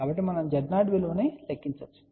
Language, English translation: Telugu, So, we can calculate the value of Z 0